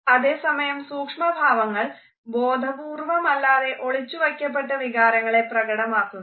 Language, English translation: Malayalam, However, micro expressions unconsciously display a concealed emotion